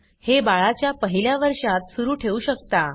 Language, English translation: Marathi, This can continue during the first year of the baby